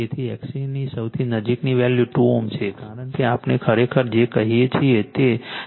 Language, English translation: Gujarati, So, the closest value of x C is 2 ohm right, because we will got actually what you call, it is 0